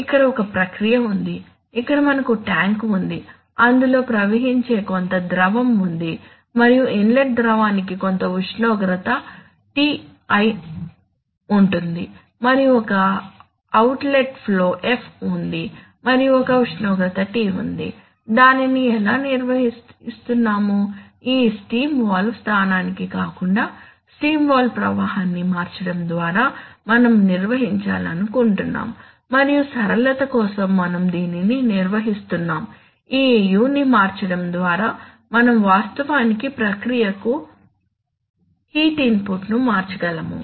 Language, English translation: Telugu, So, here is a process where we are having tank, there is some, there is some fluid which is flowing in and the fluid inlet fluid has some temperature Ti and there is an outlet flow F and there is a temperature T which we want to maintain and how we are maintaining it we are maintaining it by changing this steam valve flow rather steam valve position and we are, for simplicity we have just to, we have just model that by changing this u we can actually change the heat input to the process